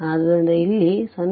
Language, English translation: Kannada, So, here 0